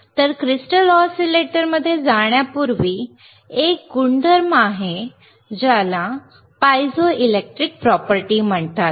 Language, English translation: Marathi, So, before we go intto the crystal oscillator, there is a property called piezoelectric property